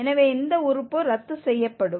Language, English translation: Tamil, So, this term will get cancelled